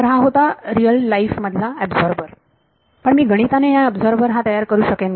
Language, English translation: Marathi, So, this was an absorber in real life can I make an absorber mathematically